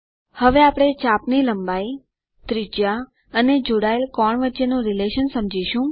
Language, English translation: Gujarati, Now we will understand the relation between arc length, radius and the angle subtended